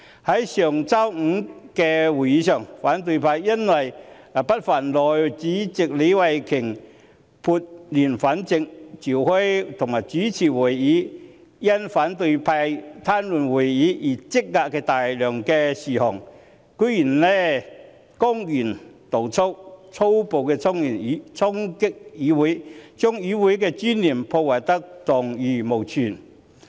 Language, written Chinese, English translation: Cantonese, 在上周五的會議上，反對派由於不忿內務委員會主席李慧琼議員撥亂反正，召開及主持會議處理因反對派癱瘓會議而積壓的大量事項，居然公然動粗，粗暴衝擊議會，將議會的尊嚴破壞得蕩然無存。, Ms Starry LEE the Chairman of the House Committee put things right by holding and presiding over a meeting last Friday to deal with the backlog of agenda items arising from the paralysis of meetings by the opposition . Angered by such a move on her part the opposition surprisingly and blatantly resorted to violence . They brutally stormed the legislature and stripped the legislature of any trace of dignity